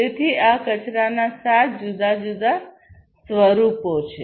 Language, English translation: Gujarati, So, these are the seven different forms of wastes